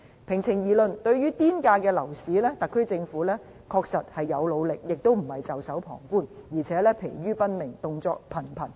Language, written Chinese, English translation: Cantonese, 平情而論，對於"癲價"樓市，特區政府確實有努力，並非袖手旁觀，而且可說是疲於奔命，動作頻頻。, Frankly speaking much effort has been made by the Government to address the crazy property prices . Far from resting on its laurels the Government is actually up to its ears in work